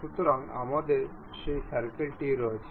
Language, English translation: Bengali, So, we have that circle